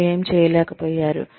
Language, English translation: Telugu, What they have not been able to do